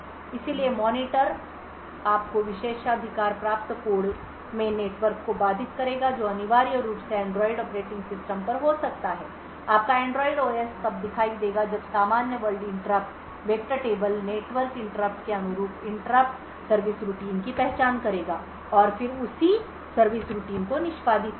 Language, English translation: Hindi, So therefore the monitor would channel the network interrupt to your privileged code which essentially could be at Android operating system your Android OS would then look up the normal world interrupt vector table identify the interrupt service routine corresponding to the network interrupt and then execute that corresponding service routine